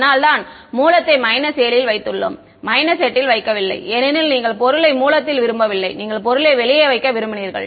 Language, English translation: Tamil, That is why the source was put at the minus 7 not at minus 8 because you do not want source in the material you wanted just outside ok